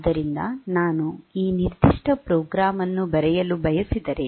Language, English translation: Kannada, So, if I want to write this particular program